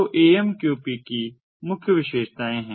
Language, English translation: Hindi, so these are the main features of amqp